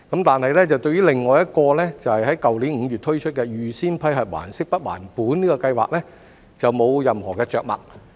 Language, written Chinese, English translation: Cantonese, 但是，對於另一個在去年5月推出的預先批核還息不還本的計劃則沒有任何着墨。, However nothing has been said about another scheme launched in May last year namely the Pre - approved Principal Payment Holiday Scheme